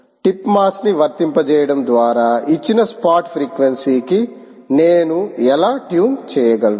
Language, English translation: Telugu, how do i tune to a given spot frequency by applying a tip mass, ah